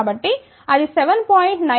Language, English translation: Telugu, So, that comes out to be 7